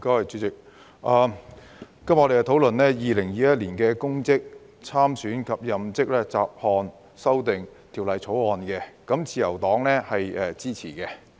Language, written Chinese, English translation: Cantonese, 主席，今天我們討論《2021年公職條例草案》，自由黨表示支持。, President we are discussing the Public Offices Bill 2021 the Bill today and the Liberal Party expresses support to it